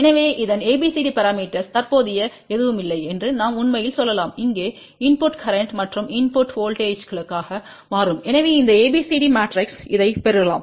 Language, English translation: Tamil, So, we can actually say that ABCD parameter of this whatever is the current going out from here will become input current and input voltages over here so that means, this ABCD matrix can be multiplied with this